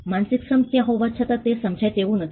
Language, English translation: Gujarati, The mental labor is not discernable though it is there